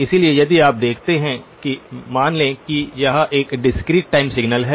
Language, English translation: Hindi, So if you see that assume that it is a discrete time signal